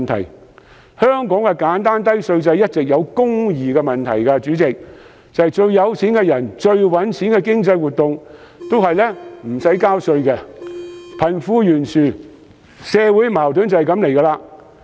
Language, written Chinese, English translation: Cantonese, 主席，香港的簡單低稅制一直存在公義問題，因為最富有的人和最賺錢的經濟活動一向無須納稅，貧富懸殊和社會矛盾由此而生。, President Hong Kongs simple and low tax regime has always been unfair because the richest people are not required to pay tax while the most profitable economic activities are tax - free . Wealth gap and social conflicts have hence been created